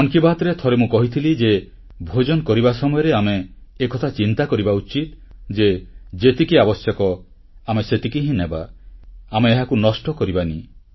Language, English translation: Odia, And, in one episode of Mann Ki Baat I had said that while having our food, we must also be conscious of consuming only as much as we need and see to it that there is no wastage